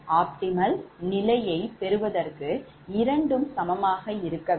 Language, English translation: Tamil, but for optimal solution both should be equal, both should be equal, but here it is not equal